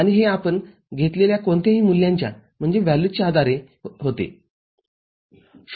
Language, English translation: Marathi, And, it occurs based on whatever values we have already taken, occurs at 0